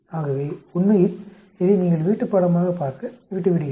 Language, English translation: Tamil, Now I want to leave it as a homework